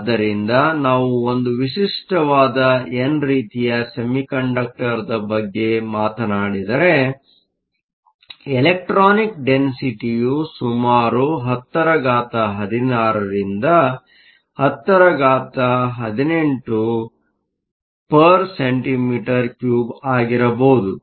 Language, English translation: Kannada, So, if we talk about a typical n type semiconductor, your electronic densities can be around 10 to the 16 to the 10 to the 18 per centimeter cube